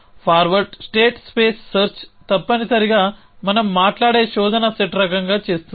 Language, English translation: Telugu, So, forward state space search essentially does the kind of the search set we have in talking about